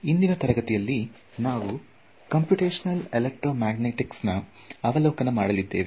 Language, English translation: Kannada, So today’s class is going to give you an overview of the field of Computational Electromagnetics